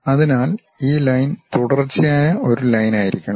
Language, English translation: Malayalam, So, this line supposed to be a continuous line